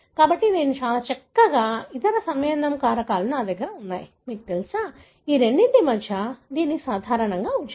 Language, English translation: Telugu, So, I pretty much, other compounding factors I have sort of, you know, kept it common between these two